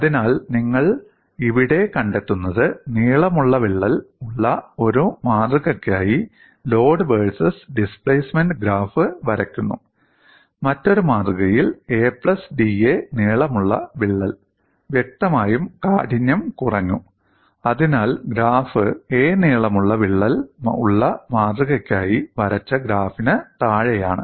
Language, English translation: Malayalam, So, what you find here is, you draw the graph between load versus displacement for a specimen with crack of length a, for another specific length with a crack of length a plus da; obviously the stiffness as reduced; so the graph is below the graph drawn for crack length of a